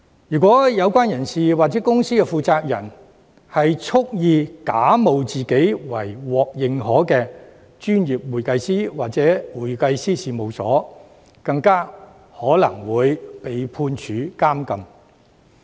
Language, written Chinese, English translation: Cantonese, 如果有關人士或公司的負責人蓄意假冒自己為獲認可的專業會計師或會計師事務所，更有可能會被判處監禁。, If an individual or the person - in - charge of the company wilfully pretends to be a certified professional accountant or a firm of public accountants the person in question may even be liable to imprisonment